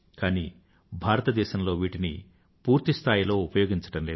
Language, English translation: Telugu, But India was lacking full capacity utilization